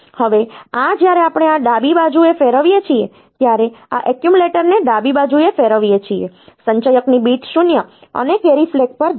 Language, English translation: Gujarati, Now this when we do this rotate left then this rotate the accumulator left bit 7 will of the accumulator will go to bit 0 and the carry flag